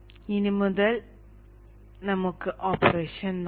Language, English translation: Malayalam, Now let us see the operation